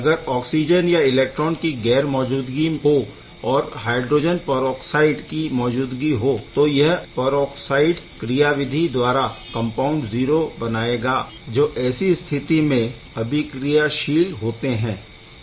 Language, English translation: Hindi, So, there in absence of these if hydrogen peroxide is existing that can gives rise to the peroxides; mechanism nonetheless; this compound 0 is going to be a very reactive under that condition